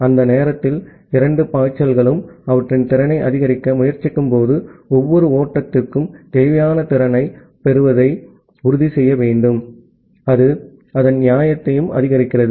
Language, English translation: Tamil, And when both the flows tries to maximize their capacity during that time, we need to ensure that every flow gets the required capacity that maximizes its fairness as well